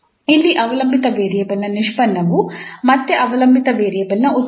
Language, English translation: Kannada, The derivative of the dependent variable is known in this case as a function of dependent variable itself